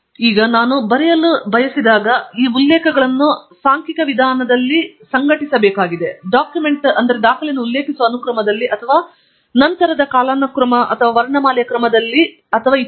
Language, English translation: Kannada, So, when we want to then write up, we need to basically organize these references in a numerical manner, one after other in the sequence of referencing the document, or maybe chronological order or alphabetical order